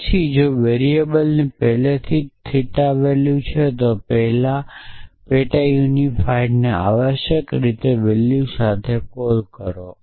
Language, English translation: Gujarati, Then if variable already has the value in theta then call sub unify with that value essentially